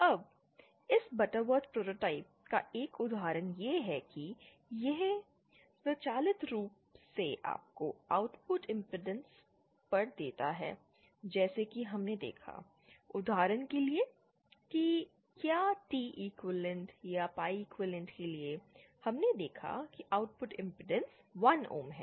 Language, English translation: Hindi, Now one example of this Butterworth prototype is that it automatically gives you at the output impedance as we saw, for example whether for the T equivalent or pie equivalent, we saw that the output impedance is 1 ohms